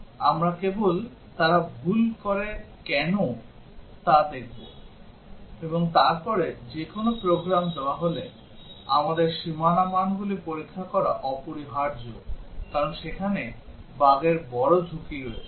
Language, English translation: Bengali, We will just see why they commit mistakes; and then given any program, it is essential that we test the boundary values, because there is a large risk of bugs existing there